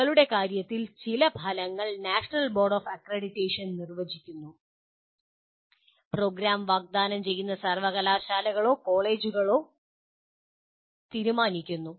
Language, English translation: Malayalam, And in our case, some outcomes are defined by National Board of Accreditation; some outcomes are the universities or colleges offering the program will have to decide